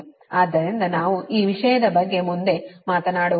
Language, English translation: Kannada, so we will not talk about this thing